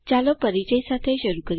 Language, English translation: Gujarati, Let us begin with an introduction